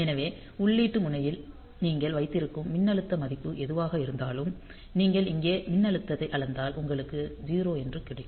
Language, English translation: Tamil, So, whatever voltage value that you put at the input pin; so, if you measure the voltage here you will get a 0